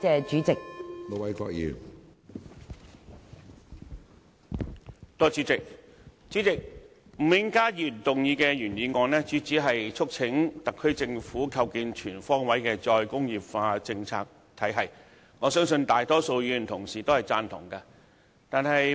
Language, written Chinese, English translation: Cantonese, 主席，吳永嘉議員動議的原議案，是要促請特區政府"構建全方位'再工業化'政策體系"，相信大多數議員同事都贊同。, President the original motion of Mr Jimmy NG is to urge the SAR Government to [Establish] a comprehensive re - industrialization policy regime to which I believe most Members will agree